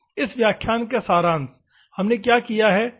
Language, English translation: Hindi, Summary of this class, what all we have done